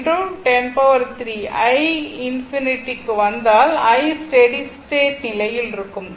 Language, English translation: Tamil, If you come to this i infinity, this is i at steady state right